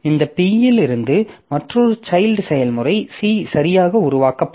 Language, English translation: Tamil, So, from this P, another child process C will be created